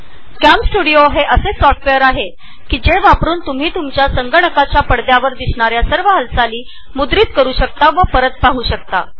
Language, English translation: Marathi, CamStudio is a screen recording software, that records all activities which you see on your computer screen and allows you to play them back later on